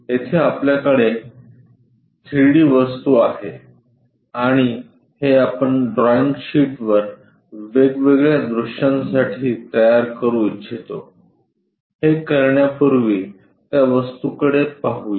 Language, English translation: Marathi, Here, we have a 3 dimensional object and this we would like to produce it on the drawing sheet for different views, to do that first of all let us look at the object